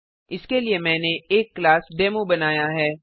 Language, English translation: Hindi, For that I have created a class Demo